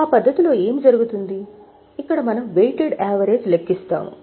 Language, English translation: Telugu, In that method what is done is here we go for a weighted average